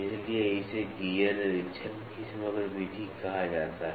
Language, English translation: Hindi, That is why it is called as composite method of gear inspection